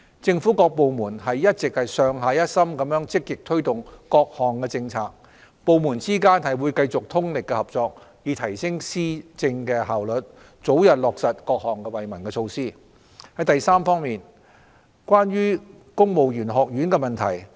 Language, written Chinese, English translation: Cantonese, 政府各部門一直上下一心積極推動各項政策，部門之間會繼續通力合作，以提升施政效率，早日落實各項惠民措施。三此外，關於公務員學院的問題。, All government departments have been pushing forward various policies proactively and in a concerted manner; and will continue to work together to enhance efficiency in governance with a view to facilitating the early implementation of initiatives beneficial to the public